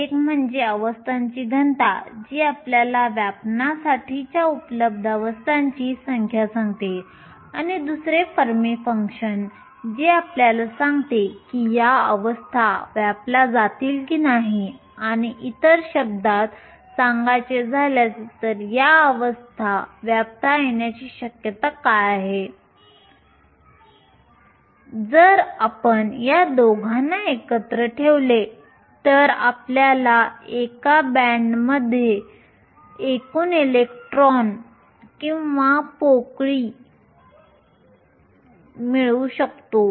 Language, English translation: Marathi, One is the density of states which tells you the number of available states that are to be occupied and then the Fermi function that tells you whether these states will be occupied or not or other words what is the probability of these states being occupied if you put these 2 together you can get the total number of electrons or holes in a band